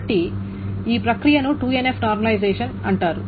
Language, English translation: Telugu, So this is called a 2NF normalization